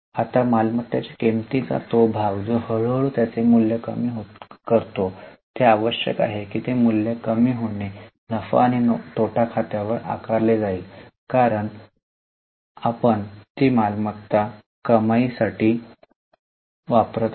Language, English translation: Marathi, Now, that portion of value of asset which slowly reduces its value, it is necessary that that loss of value is charged to profit and loss account